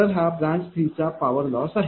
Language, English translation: Marathi, So, this is your branch 3 power loss now